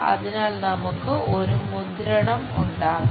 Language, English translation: Malayalam, So, that we will have impression